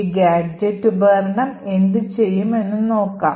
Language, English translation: Malayalam, So, what this gadget tool would do